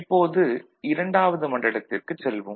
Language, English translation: Tamil, So, now, we go to region II